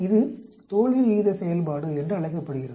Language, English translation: Tamil, This is called the failure rate function